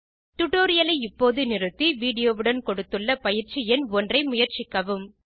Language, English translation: Tamil, Please pause the tutorial now and attempt the exercise number one given with the video